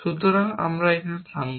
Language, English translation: Bengali, So, we will stop here